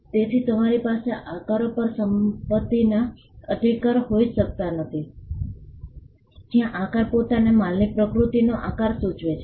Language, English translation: Gujarati, So, you cannot have property rights on shapes; where the shape signifies the shape of the nature of the goods themselves